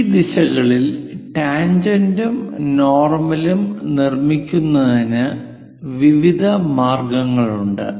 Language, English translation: Malayalam, There are various ways of constructing tangent and normal in this directions